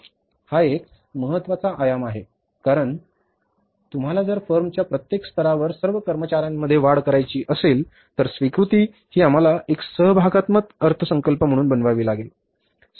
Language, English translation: Marathi, It is a very important dimension because acceptance if you want to increase among us all the employees at every level of the firm, we will have to make this as a participative budgeting